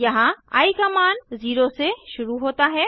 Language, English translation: Hindi, Here, the value of i starts with 0